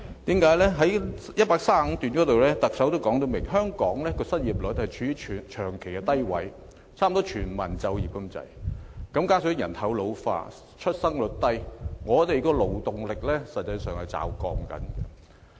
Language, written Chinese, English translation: Cantonese, 特首在此段清楚指出，香港的失業率長期處於低位，差不多是全民就業，加上人口老化、出生率低，實際上本港的勞動力是正在驟降。, The Chief Executive clearly points out that the unemployment rate in Hong Kong has remained low in recent years and Hong Kong basically achieves full employment . She also says that with an ageing population and a declining birth rate the overall labour force in Hong Kong is actually dropping drastically